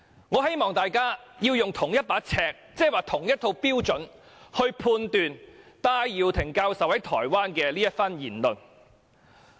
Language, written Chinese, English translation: Cantonese, 我希望大家使用同一把尺，即同一套標準，判斷戴耀廷教授在台灣發表的這番言論。, I hope Members will employ the same yardstick that means the same set of standards to judge the remarks made by Prof Benny TAI in Taiwan